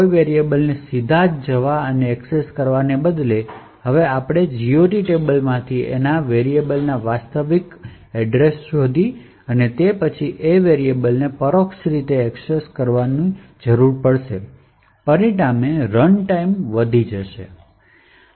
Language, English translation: Gujarati, Instead of directly going and accessing a particular variable, now we need to find out the actual variable from the GOT table and then make an indirect access to that particular variable, thus resulting in increased runtime